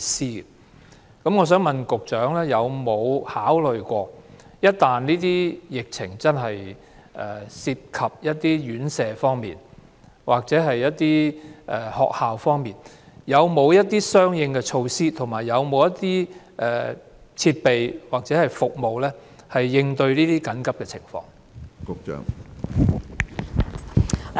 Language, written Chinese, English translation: Cantonese, 就此，我想問局長：有沒有考慮一旦疫情涉及院舍或學校，當局會採取甚麼相應措施、設備或服務應對這些緊急情況呢？, In this connection I have this question for the Secretary . Has consideration been given to what corresponding measures the authorities will take and what facilities or services will be provided to tackle such an emergency once the epidemic has grown to involve residential care homes or schools?